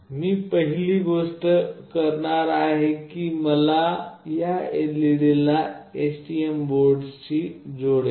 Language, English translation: Marathi, The first thing that I will be do is I will connect this LED with STM board